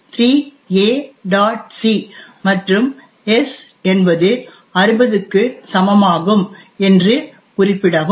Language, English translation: Tamil, c and just specify that s is equal to 60